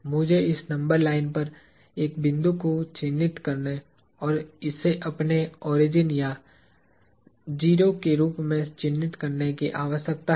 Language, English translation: Hindi, I need to mark a point on this number line and mark this as my origin or 0